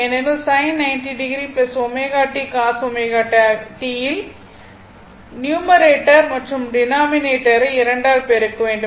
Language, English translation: Tamil, Because, sin 90 degree plus omega t cos omega t multiply numerator and denominator by 2